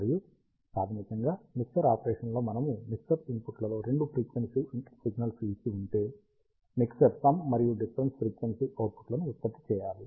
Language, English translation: Telugu, And the mixer operation is basically if you have two frequency signals given at the mixture inputs, the mixer should produce the sum and the difference frequency outputs